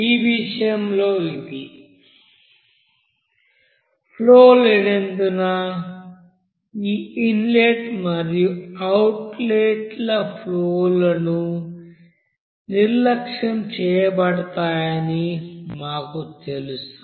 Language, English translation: Telugu, We know In this case again this inlet and outlet streams to be neglected because there is no stream